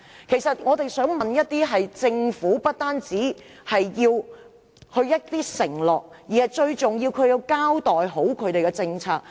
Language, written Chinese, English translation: Cantonese, 其實，我們想要的不單是政府的承諾，最重要的是希望政府交代其政策。, In fact we do not only want the Government to make pledges . Most importantly we want the Government to give an account of its policy